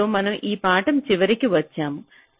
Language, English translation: Telugu, so with this we come to the end of the lecture